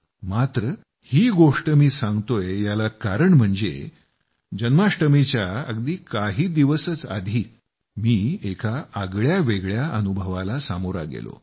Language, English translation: Marathi, But I am saying all this because a few days before Jamashtami I had gone through an interesting experience